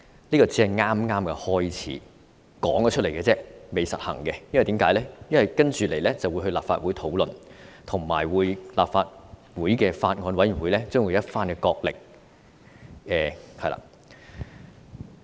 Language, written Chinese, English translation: Cantonese, 這只是剛開始，口頭提出來而已，並未實行，因為接着會交由立法會討論，而法案委員會將會有一番角力。, This is just the beginning because the initiative has just been put forward orally and yet to be implemented pending discussion by the Legislative Council with much wrangling expected in the Bills Committee